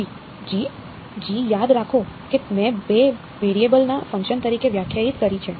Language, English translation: Gujarati, g; g remember I have defined as a function of two variables right